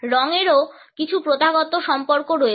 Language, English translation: Bengali, Colors also have certain customary associations